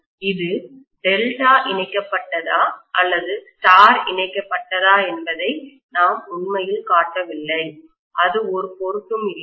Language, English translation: Tamil, I am not really showing whether it is Delta connected or star connected, it does not matter